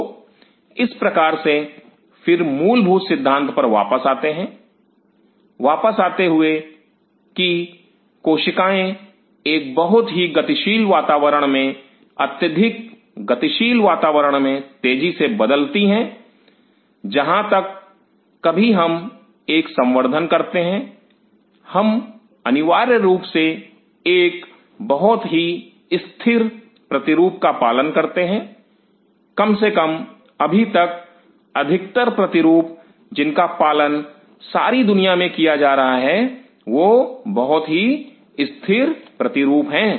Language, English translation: Hindi, So, in a way again coming back to that fundamental concept that cells in a very dynamic environment extremely dynamic extremely changing, whereas, whenever we do a cultured we essentially follow very static model at least as of now the most of the models which are being followed across the world are very static model